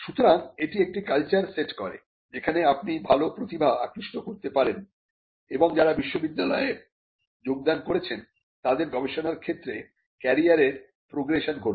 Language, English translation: Bengali, So, it also sets a culture where you can attract good talent and people who joined the university will have a career progression in research as well